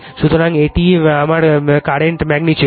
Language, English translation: Bengali, So, this is my current magnitude